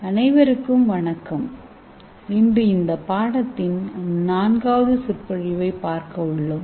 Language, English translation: Tamil, Hello everyone today we are going to see the fourth lecture of this course